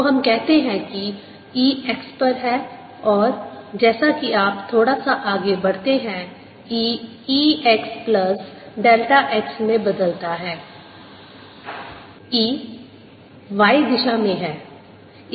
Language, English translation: Hindi, so let us say e is at x and as you go little farther out, e changes to e, x plus delta x